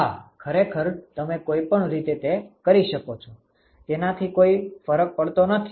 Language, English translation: Gujarati, So, you can do it either way it does not matter